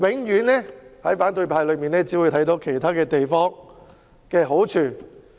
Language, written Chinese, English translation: Cantonese, 在反對派眼中，永遠只會看到其他地方的好處。, The opposition camp only sees the merits of other places